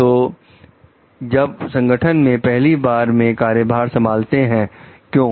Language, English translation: Hindi, So organizations that took over from the first time, why